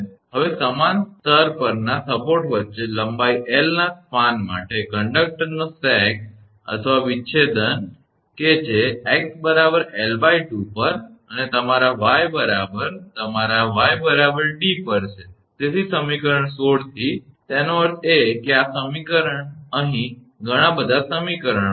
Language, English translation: Gujarati, So, the sag or deflection of the conductor for a span of length L between supports on the same level that is at x is equal to L by 2 y is equal to d; that means, this is this is your what you call the total